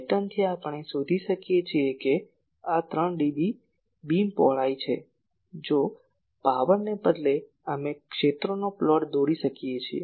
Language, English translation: Gujarati, From the pattern, we can find out that this is the 3 dB beam width if instead of power, we can plot fields